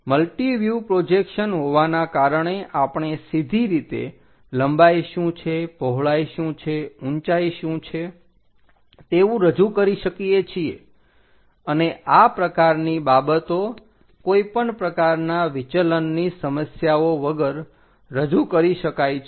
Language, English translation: Gujarati, So, by having a view projection view multi view we can straight away represent what is length, what is width, what is height, and this kind of things without making any aberrational issues